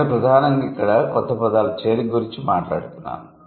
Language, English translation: Telugu, So, I am going to talk about primarily the addition of new words here